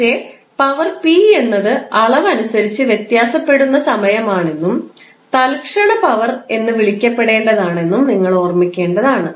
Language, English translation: Malayalam, But you have to keep in mind this power p is a time varying quantity and is called a instantaneous power